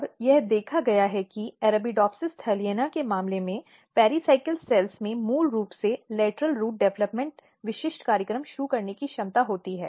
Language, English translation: Hindi, And it has been seen that in case of Arabidopsis thaliana these pericycle cells basically have competency and potential to initiate lateral root developmental specific program